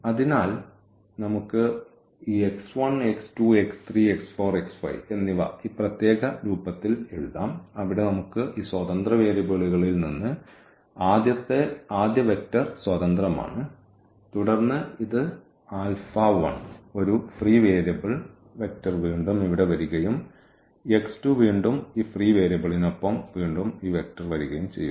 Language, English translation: Malayalam, So, we can write down now these x 1, x 2, x 3, x 4 and x 5 in this particular form where we have first vector free from these free variables and then this is with alpha 1, the one free variable the vector again coming here and x 2 again this free vector with this three variable again this vector is coming up